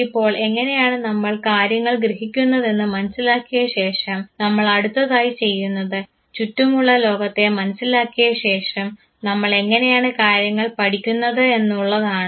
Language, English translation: Malayalam, Now that we have understood how we perceive things, we are now moving a step ahead trying to understand that having sensed the world having perceived the world around us how do we learn things